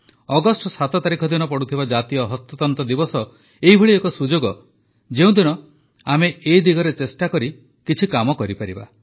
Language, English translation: Odia, The National Handloom Day on the 7th of August is an occasion when we can strive to attempt that